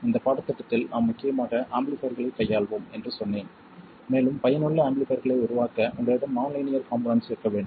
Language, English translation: Tamil, I said that in this course we will mainly deal with amplifiers and in order to make useful amplifiers you need to have nonlinear devices